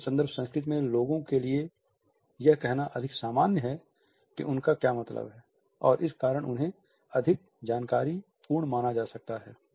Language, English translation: Hindi, In a low context culture it is more common for people to be direct say what they mean and could be considered more informative because of these points